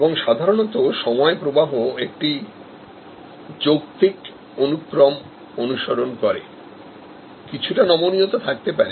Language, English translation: Bengali, And usually the time flow follows a logical sequence, there can be some flexibility